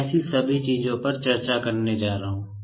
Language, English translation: Hindi, That I am going to discuss all such things